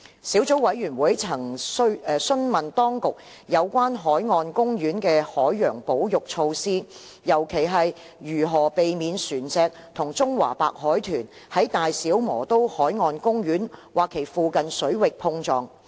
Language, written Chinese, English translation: Cantonese, 小組委員會曾詢問當局有關海岸公園的海洋保育措施，尤其是如何避免船隻與中華白海豚在大小磨刀海岸公園或其附近水域碰撞。, The Subcommittee has asked the Administration about the marine conservation measures of BMP especially how to minimize collision of vessels with CWDs in or near BMP . According to the Administration the Marine Parks and Marine Reserves Regulation Cap